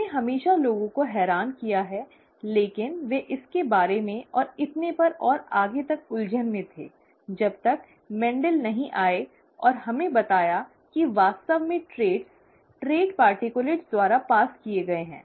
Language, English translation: Hindi, That has always puzzled people but they were skeptic about it and so on and so forth, till Mendel came and told us that the traits are actually passed on by trait particulates